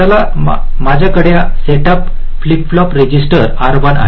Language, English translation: Marathi, lets, i have a setup, flip flop, register r one